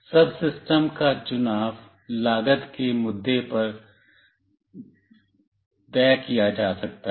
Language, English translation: Hindi, The choice of the subsystem may be dictated by cost issue